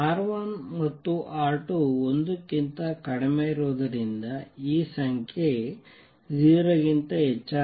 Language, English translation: Kannada, Since R 1 and R 2 are less than 1, therefore this number is greater than 0